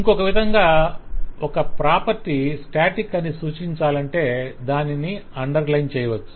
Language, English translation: Telugu, So the other way to say if a property is static is also to be able to underline that